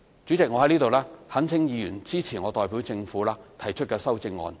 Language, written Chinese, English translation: Cantonese, 主席，我在此懇請議員支持我代表政府提出的修正案。, Chairman I implore Members to support the amendments to be moved by me on behalf of the Government